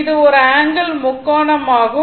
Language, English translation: Tamil, It is a it is a right angle triangle